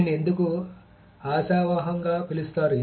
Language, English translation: Telugu, Why it is called optimistic